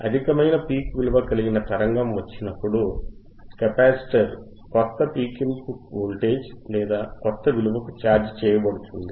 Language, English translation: Telugu, wWhen a higher peak signal is come cocommes along comes along, the capacitor will be charged to the new peak input voltage or new peak inputor value right